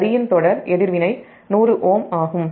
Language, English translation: Tamil, the series reactance of the line is one hundred ohm